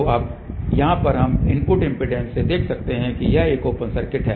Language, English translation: Hindi, So, over here now, we can look from the input impedance this is an open circuit